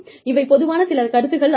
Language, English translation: Tamil, These are some concepts